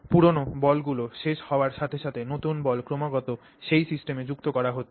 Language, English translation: Bengali, So, that as the old balls get consumed, new balls are continuously being added into that system